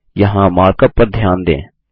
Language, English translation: Hindi, Notice the mark up here